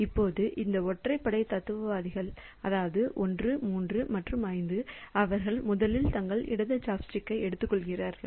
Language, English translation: Tamil, Now, this odd philosophers, so that is 1, 3 and 5 they pick up their left chopstick first